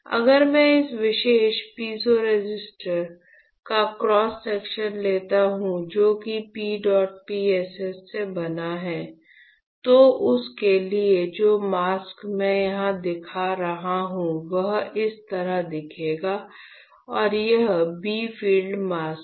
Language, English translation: Hindi, So, if I take a cross section of this particular piezo resistor which is made out of a P dot PSS, then for that the mask that I am showing here will look like this and this is a bright field mask all right